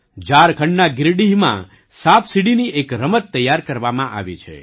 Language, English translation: Gujarati, A snakeladder game has been prepared in Giridih, Jharkhand